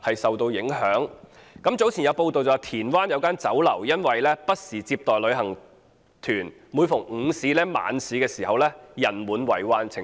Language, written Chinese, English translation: Cantonese, 早前有傳媒報道，田灣有一間酒樓因不時接待旅行團，每逢午市、晚市人滿為患。, Earlier it was reported in the media that a restaurant in Tin Wan was packed with people during lunch and dinner time as it received tour groups from time to time